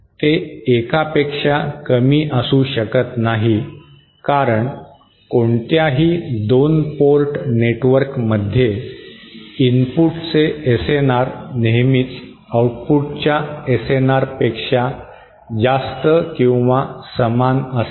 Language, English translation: Marathi, It cannot be less than one because in any 2 port network, the SNR of the input will always be greater or at best equal to the SNR of the output